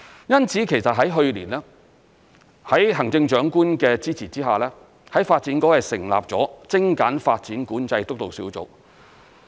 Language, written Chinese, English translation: Cantonese, 因此在去年，在行政長官的支持之下，發展局成立了精簡發展管制督導小組。, In view of this with the support of the Chief Executive the Development Bureau set up a Steering Group on Streamlining Development Control last year